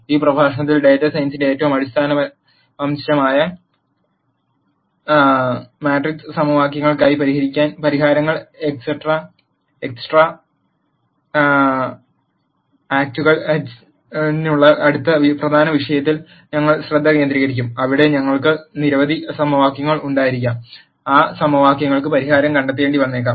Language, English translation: Malayalam, In this lecture we will focus on the next important topic of extracting solutions for matrix equations, which is the most fundamental aspect of data science, where we might have several equations and we might have to nd solutions to those equations